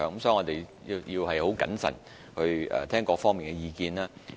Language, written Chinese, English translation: Cantonese, 所以，我們必須很謹慎聆聽各方意見。, Therefore we have to prudently listen to views from various sides